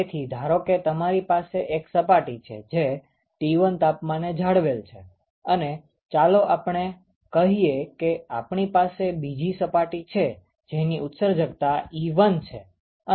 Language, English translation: Gujarati, So, supposing we have one surface which is maintained at temperature T1 and let us say you have another surface whose emissivity is epsilon1